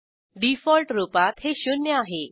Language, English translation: Marathi, By default, it is zero